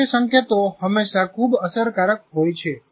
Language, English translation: Gujarati, Visual cues are always more effective